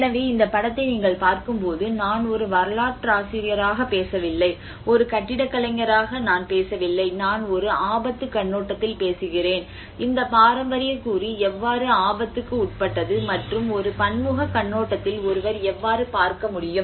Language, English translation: Tamil, \ \ \ So, when you see at this image, I am not talking about as an historian, I am not talking about as an architect, I am talking from a risk perspective, how this heritage component subjected to risk and how one can look at from a multidisciplinary perspective